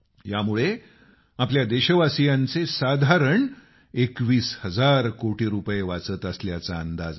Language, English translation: Marathi, It is estimated that this will save approximately 21 thousand crore Rupees of our countrymen